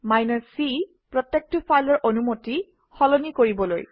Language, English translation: Assamese, c : Change the permission for each file